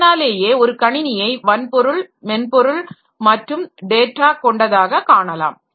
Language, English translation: Tamil, So, you can think about a computer system as hardware, software and data